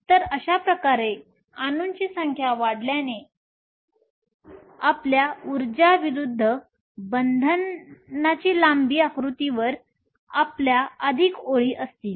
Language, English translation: Marathi, So, thus as a number of atoms increases you will have more lines on your energy versus bond length diagram